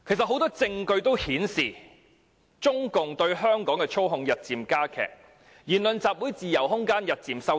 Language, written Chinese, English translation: Cantonese, 很多證據顯示，中共其實日漸加強對香港的操控，香港人的言論和集會自由空間也日漸收窄。, A lot of evidence shows that CPC is actually tightening its grip on Hong Kong and the leeway given to the people of Hong Kong in terms of speech and assembly is narrowing too